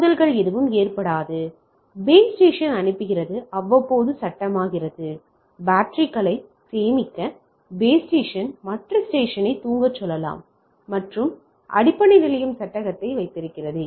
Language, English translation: Tamil, No collision occur, base station sends become frame periodically, base station can tell other station to sleep to save the batteries, and other and base station holds the frame